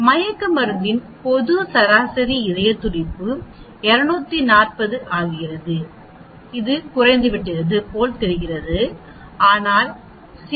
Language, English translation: Tamil, During anesthesia the mean rate becomes 240, it looks like it is gone down, but the CV is the same